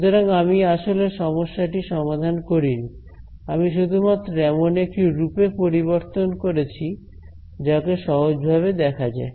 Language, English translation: Bengali, So, I have not actually solved the problem, I have just converted it into a form that is easier to look at